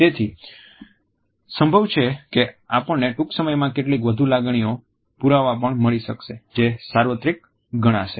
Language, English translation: Gujarati, So, it is quite possible that we may also get evidence of some more emotions which may be considered universal very shortly